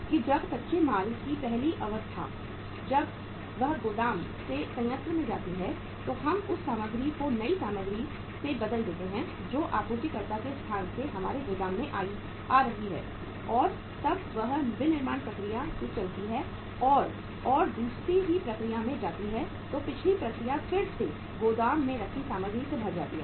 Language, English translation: Hindi, That when the first stage of raw material when it moves from the warehouse to the plant then we replace that material with the new material which is coming from the supplier’s place to our warehouse and when it moves from the one say process and the manufacturing process from the one process to the next process then the previous process is also replaced by the material coming from the warehouse